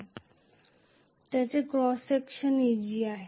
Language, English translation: Marathi, And whose area of cross section is ag